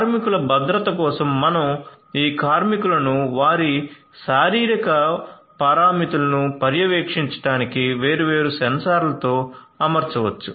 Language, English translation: Telugu, So, for the water safety we could have these workers fitted with different different sensors for monitoring their you know their physiological parameters